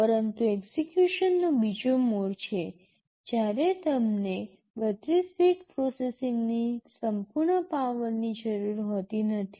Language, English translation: Gujarati, But there is another mode of execution when you do not need the full power of 32 bit processing